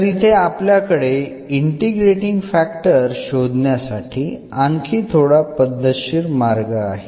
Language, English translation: Marathi, So, here we have a more or rather systematic approach which we can follow to get the integrating factors